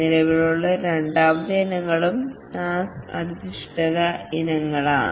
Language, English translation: Malayalam, The second category of items that are also present are the task based items